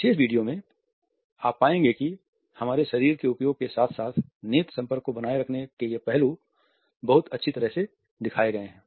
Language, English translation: Hindi, In the particular video you would find that these aspects of opening up one’s body as well as maintaining the eye contact is done very nicely